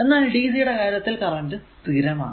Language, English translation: Malayalam, So, but dc it has current is constant so, figure 1